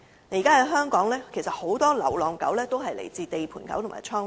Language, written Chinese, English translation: Cantonese, 現時香港很多流浪狗均屬於"地盤狗"和"倉狗"。, At present many stray dogs in Hong Kong are actually construction site dogs and warehouse dogs